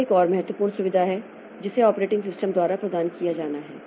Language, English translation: Hindi, So, this is another important facility that has to be provided by the operating system